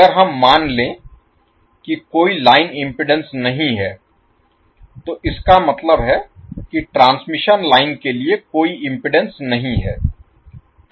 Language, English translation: Hindi, If we assume there is no line impedance means there is no impedance for the transmission line